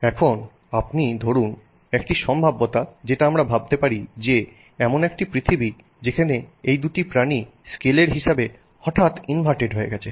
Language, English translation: Bengali, Now, supposing you consider a possibility that we can think of a different world where the two animals are suddenly inverted with respect to scale